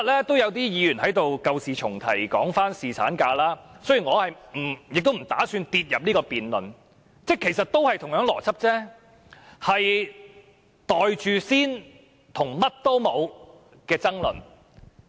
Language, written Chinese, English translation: Cantonese, 我不打算討論侍產假這個議題，但兩者其實邏輯相同，都是圍繞"袋住先"和"乜都冇"的爭論。, I will not discuss this subject but the logic behind it is actually the same as that behind the Bill . On both issues there is an argument over whether we should pocket first or nothing gained